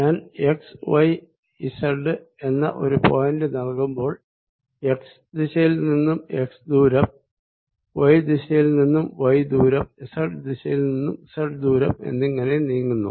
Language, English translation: Malayalam, so if i am giving a point x, y and z, i am moving in direction by x, y, direction by y and then z direction by z